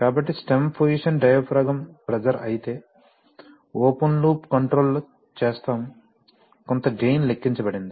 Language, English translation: Telugu, So, if the stem position diaphragm pressure, so in open loop control we will, you know there is there is some gain calculated